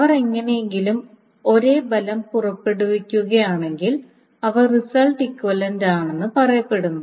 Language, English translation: Malayalam, If they produce the same result, if they somehow produce the same result, then they are said to be result equivalent